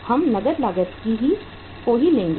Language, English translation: Hindi, We will take only the cash cost